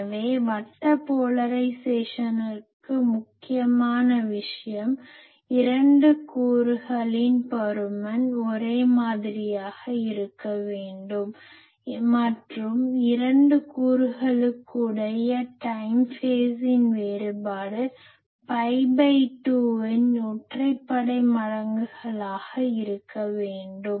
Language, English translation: Tamil, So, for circular polarisation the important thing is; magnitude of the 2 component should be same and time phase the time phase difference between the 2 components should be odd multiples of pi by 2